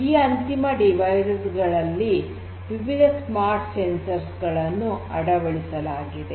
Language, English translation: Kannada, These end devices are fitted with different smart sensors